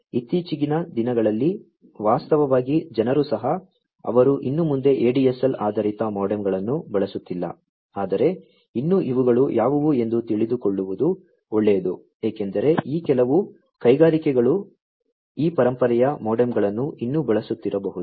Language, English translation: Kannada, Nowadays, actually people have also, you know, they are not using ADSL based modems anymore, but still you know it is good to know what are these because some of these industries might still be using these you know these legacy modems